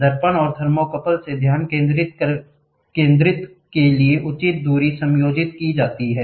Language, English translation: Hindi, The distance from the mirror and the thermocouple are adjusted for proper focusing